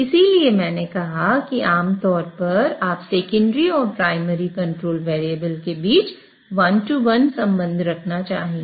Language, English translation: Hindi, So, that is why I said typically you would want a one to one relationship between the secondary and primary controlled variables